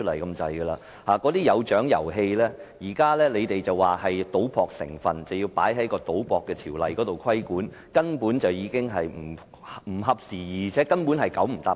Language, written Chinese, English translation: Cantonese, 局方指出，那些有獎遊戲具賭博成分，應受《賭博條例》規管，根本不合時宜，"九唔搭八"。, According to the Bureau some prize winning games have gambling elements and should be regulated by the Gambling Ordinance . This requirement is simply obsolete and inappropriate